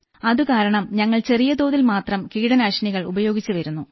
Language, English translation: Malayalam, Accordingly, we have used minimum pesticides